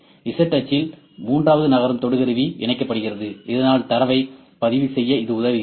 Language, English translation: Tamil, In z axis, z axis, third moving probe will attach, so that helps us to record the data